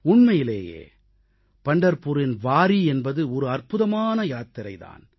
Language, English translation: Tamil, Actually, Pandharpur Wari is an amazing journey in itself